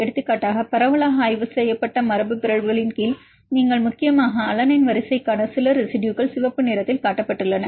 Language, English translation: Tamil, Like for example, under the mutants which are widely studied, you are mainly some of the residues to alanine sequence is shown in red is more than 100